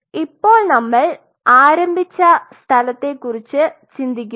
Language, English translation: Malayalam, So, we started with now think of it where we started